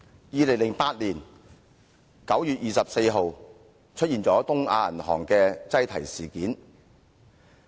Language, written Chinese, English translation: Cantonese, 2008年9月24日出現了東亞銀行的擠提事件。, On 24 September 2008 there was a run on the Bank of East Asia